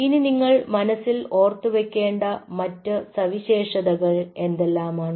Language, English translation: Malayalam, next, what are the features you have to keep in mind